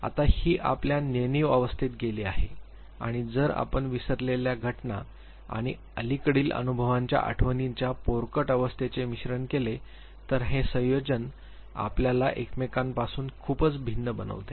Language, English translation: Marathi, Now it goes to our unconscious state and because if you make a mix of the infantile state of memory the forgotten events and the subliminal experiences then this combination makes us too much varied from each other